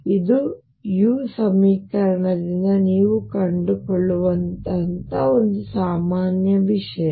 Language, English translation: Kannada, But this is general thing that you can find out from a u equation